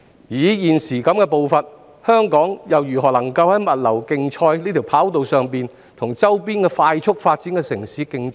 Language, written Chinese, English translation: Cantonese, 以現時的步伐，香港又怎能在物流競賽的跑道上跟周邊快速發展的城市競爭？, How can Hong Kong compete with the fast - growing neighbouring cities in the race of logistics development at our pace?